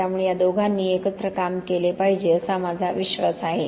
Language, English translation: Marathi, So this is the two should be working together, I believe